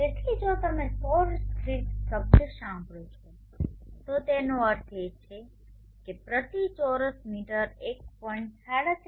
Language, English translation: Gujarati, So if you hear the term solar constant it means it is 1